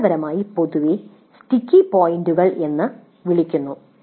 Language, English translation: Malayalam, Essentially what generally are called as sticky points